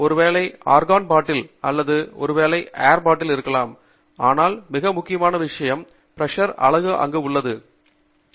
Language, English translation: Tamil, So, maybe you have a nitrogen bottle maybe you have argon bottle or maybe even an air bottle, but most important thing is the bottle is a pressurized unit